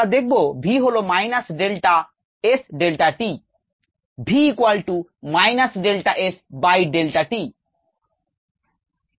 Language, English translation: Bengali, right, v equals minus d, s, d, t